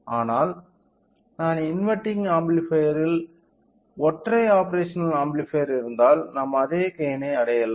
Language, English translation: Tamil, So, but in case of an non inverting amplifier with a single operational amplifier we could achieve the same gain as 10 right